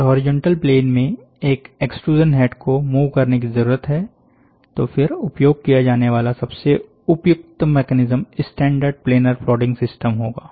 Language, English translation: Hindi, Since the requirement to move a mechanical extrusion head in the horizontal plane, then the most appropriate mechanism to use would be standard planar plotting system so, standard planner plotting system